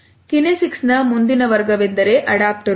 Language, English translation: Kannada, The next category of kinesics is Adaptors